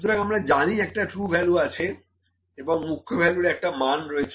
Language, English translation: Bengali, So, we know the true value is there, the main value is this much